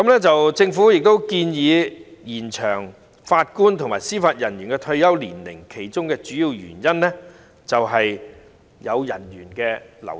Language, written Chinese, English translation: Cantonese, 政府建議延長法官和司法人員的退休年齡，其中主要原因是人員流失。, The Governments proposal to extend the retirement age of JJOs is mainly attributable to staff wastage